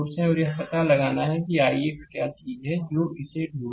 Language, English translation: Hindi, And you have to find out what is i x that is the thing you have to find it out